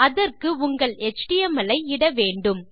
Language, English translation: Tamil, Our html has been incorporated